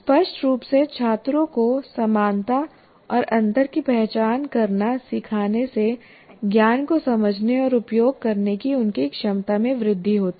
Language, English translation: Hindi, Explicitly teaching students to identify similarities and differences enhances their ability to understand and use knowledge